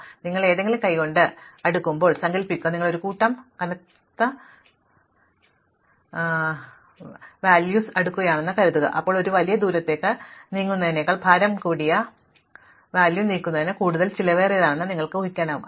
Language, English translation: Malayalam, So, imagine when you are sorting something by hand, supposing you are sorting a bunch of heavy cartons, then you can imagine that moving of heavy carton a long distance is more expensive than moving it a short distance